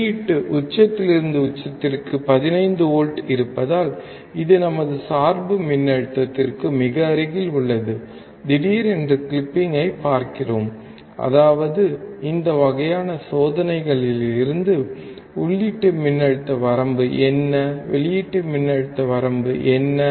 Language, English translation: Tamil, Because the output peak to peak is around 15 volts, it is very close to our bias voltage, suddenly, we will see the clipping; that means, that from this kind of experiments, we can easily find what is the input voltage range, what is the output voltage range